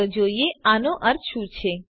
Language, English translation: Gujarati, Let us see what this means